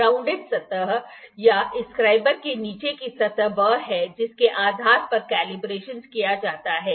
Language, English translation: Hindi, Because the grounded surface this is the one the surface of the bottom of this scriber is the one based on which the calibration is done